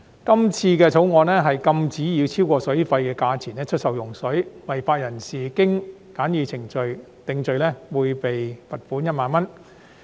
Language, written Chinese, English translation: Cantonese, 這次《條例草案》禁止以超過水費的價錢出售用水，違法人士一經循簡易程序定罪，會被罰款1萬元。, This Bill prohibits the sale of water at a price exceeding the specified charges for water and a person who is guilty of the offence shall be liable on summary conviction to a fine of 10,000